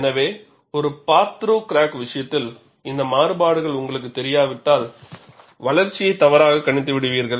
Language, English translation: Tamil, So, in the case of a part through crack, if you do not know these variations, the growth could be wrongly predicted